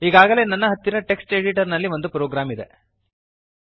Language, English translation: Kannada, I already have a program in a text editor